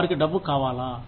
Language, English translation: Telugu, Do they want money